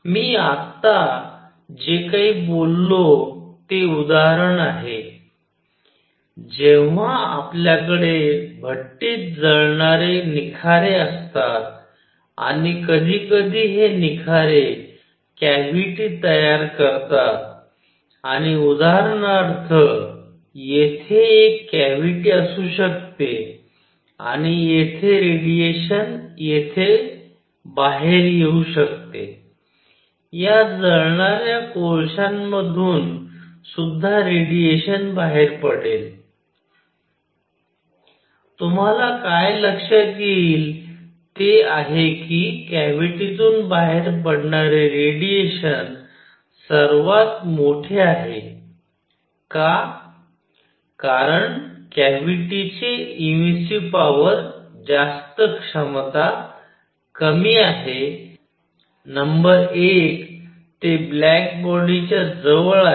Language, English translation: Marathi, Whatever I said just now example is; when you have these coals which are burnt in a furnace and sometime these coals form a cavity and for example, here could be a cavity and radiation coming out of here, radiation also coming out of these burning coals, what you will notice that intensity of radiation coming out of the cavity is largest; why, because cavity has higher emissive power, it is closer to black body number 1